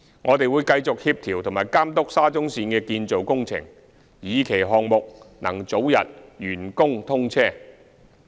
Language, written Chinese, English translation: Cantonese, 我們會繼續協調及監督沙中線的建造工程，以期項目能早日完工通車。, We will continue to coordinate and oversee the construction of the Shatin to Central Link with a view to commissioning the project as soon as possible